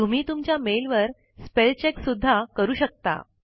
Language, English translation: Marathi, You can also do a spell check on your mail